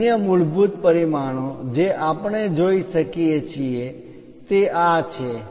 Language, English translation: Gujarati, And the other basic dimensions, what we can see is here this